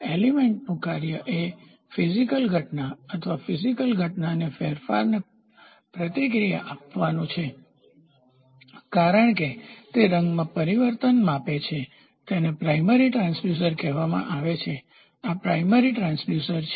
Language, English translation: Gujarati, So, the function of the element is to respond to the physical phenomenon or the change in the physical phenomenon as it is present colour changes, hence, it is called as primary transducer clear this is primary transducer